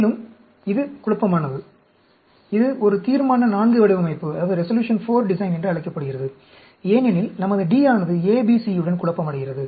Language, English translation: Tamil, And, this confounding, and this is called a Resolution IV design, because, we are having D confounded with ABC